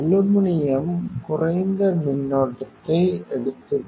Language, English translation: Tamil, So, the aluminum is taking less current,